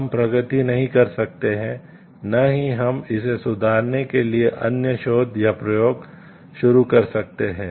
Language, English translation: Hindi, We cannot progress and others cannot start the research or experimentation like how to improve on that